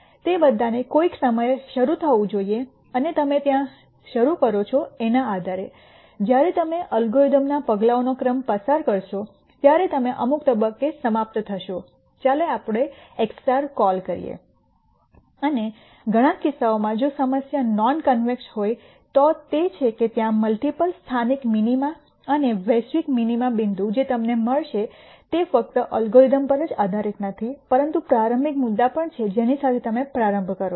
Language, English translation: Gujarati, All of them have to start at some point and depending on where you start, when you go through the sequence of steps in the algorithm you will end up at some point let us call x star, and in many cases if the problem is non convex that is there are multiple local minima and global minima the point that you will end up is de pendent on not only the algorithm, but also the initial point that you start with